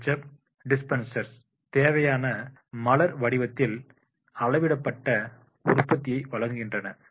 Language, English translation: Tamil, Ketchup dispensers provide measured amount of products in the requisite flower pattern